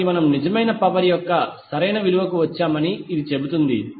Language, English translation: Telugu, So this says that we have arrived at the correct value of real power